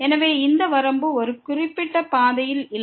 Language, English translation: Tamil, So, this is this limit is not along a particular path